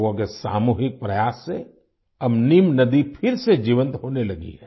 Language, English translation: Hindi, On account of the collective efforts of the people, the Neem river has started flowing again